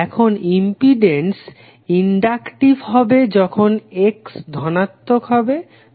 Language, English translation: Bengali, Now impedance is inductive when X is positive